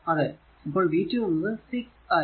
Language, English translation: Malayalam, So, v 1 will be 2 plus 2